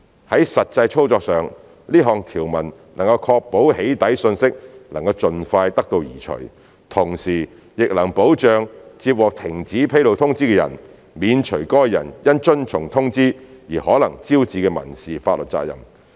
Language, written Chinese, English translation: Cantonese, 在實際操作上，這項條文能確保"起底"訊息能盡快得到移除，同時亦能保障接獲停止披露通知的人，免除該人因遵從通知而可能招致的民事法律責任。, In practice this would ensure the doxxing message can be removed in an expeditious manner while protecting the recipient of the cessation notice from potential civil liability arising from compliance with the cessation notice